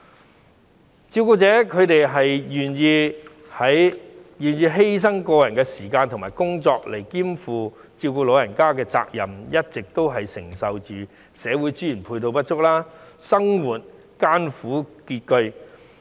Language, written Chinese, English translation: Cantonese, 不少照顧者願意犧牲個人時間及工作兼顧照顧老人家的責任，一直都要承受社會資源配套不足，生活艱苦拮据。, Not a few carers are willing to sacrifice their own time and career in order to take up the responsibility of taking care of the elderly persons at home . But owing to insufficient social resources and supporting facilities they find it hard to make ends meet